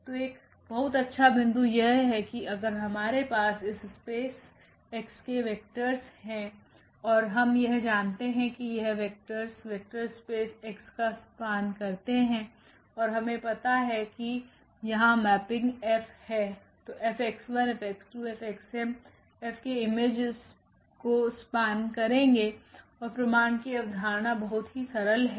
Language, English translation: Hindi, So, that is a very nice point here if we know the vectors from this space x and we know that these vectors span the vector space x and we know the mapping here F then this F x 1 F x 2 F x m they will just span the image F and the idea of the proof is very simple